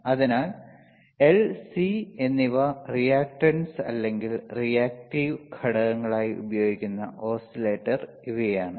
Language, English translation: Malayalam, So, these are the oscillator that are using L and C as reactances or reactive components these are reactive components